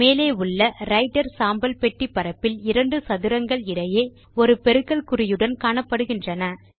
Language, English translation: Tamil, Also in the Writer gray box area at the top, notice two squares separated by the multiplication symbol